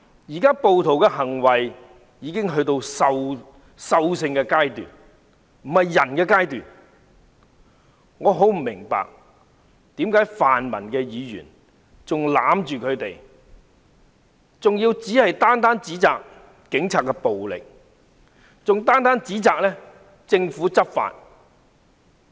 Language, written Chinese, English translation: Cantonese, 暴徒現在的行為已進入獸性階段，這不是人的階段，我很不明白為何泛民議員仍要袒護他們，還要單一指責警察使用暴力和政府執法。, Their behaviour is no different from acts of barbarity . They are no longer humans . I truly do not understand why pan - democratic Members still defend them and even biasedly accuse the Police of using violence and criticize the Government for law enforcement